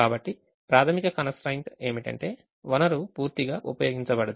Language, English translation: Telugu, so primal constraint is the resource is not fully utilized